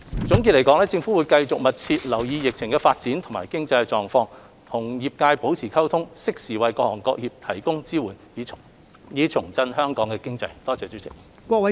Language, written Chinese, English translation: Cantonese, 總括而言，政府會繼續密切留意疫情的發展和經濟狀況，與各界保持溝通，適時為各行各業提供支援，以重振香港經濟。, In sum the Government will continue to monitor the pandemic development and the economic situation and keep in close contact with various sectors . We will also provide timely support for different industries and sectors to revive Hong Kongs economy